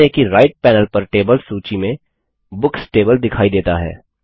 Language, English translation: Hindi, Notice that the Books table appears in the Tables list on the right panel